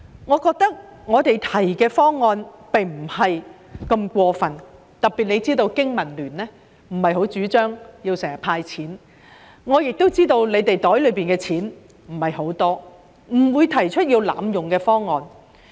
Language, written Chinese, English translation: Cantonese, 我們提出的方案並不太過分，特別香港經濟民生聯盟並不太主張經常"派錢"，我亦知道局方獲得的撥款不太多，我們不會提出濫用公帑的方案。, Our proposal is not that excessive especially as the Business and Professionals Alliance for Hong Kong BPA does not very much agree with handing out cash frequently . I also know that the Bureau does not have too much funding and thus we will not put forward any proposal to abuse public money